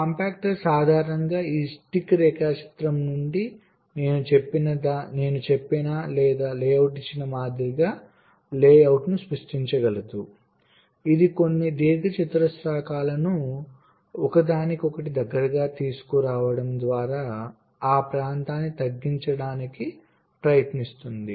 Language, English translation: Telugu, it can generate the layout from this stick diagram also, like, like what i have said, or given a layout, it tries to reduce the area by bringing some rectangle closer to each other